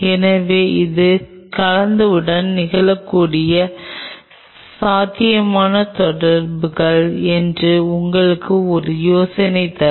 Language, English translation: Tamil, So, that will give you an idea that these are the possible interactions which can happen with the cell